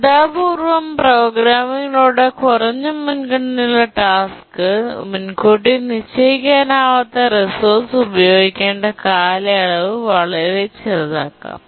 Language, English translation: Malayalam, So, through careful programming, the duration for which a low priority task needs to use the non preemptible resource can be made very small